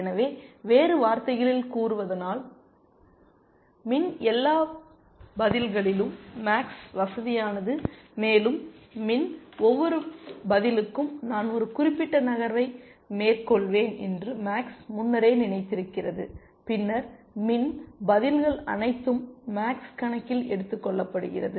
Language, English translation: Tamil, So, in other words, max is comfortable with all of min’s responses, and for each of those min’s responses max has thought ahead that I will make one particular move and then, max is taken into account, all of min’s responses